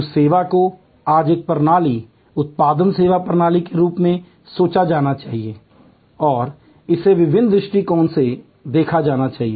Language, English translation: Hindi, That service today must be thought of as a system, product service system and it must be looked at from different perspectives